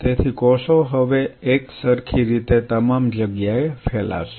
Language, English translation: Gujarati, So, the cells now will spread all over the place in a uniform way